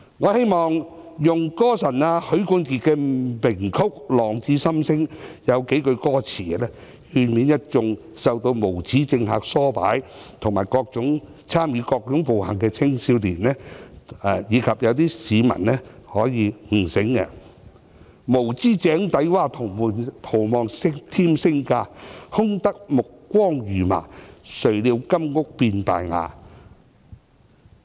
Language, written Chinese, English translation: Cantonese, 我希望用"歌神"許冠傑的名曲"浪子心聲"中數句歌詞，勸勉一眾受到無耻政客唆擺及參與各種暴行的青少年，以及令一些市民可以悟醒："無知井裏蛙，徒望添聲價，空得意目光如麻，誰料金屋變敗瓦"。, I would like to quote a few lines from the famous Drifters Song of God of Songs Sam HUI to advise young people not to be incited by the shameless politicians to commit all sorts of violence and to awaken some members of the public . The lines go An ignorant frog in a well . Hoping to find fame and fortune